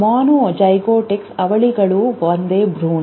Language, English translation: Kannada, Monozygotics have the same set of genes